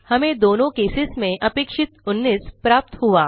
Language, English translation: Hindi, We get 19, as expected, in both the cases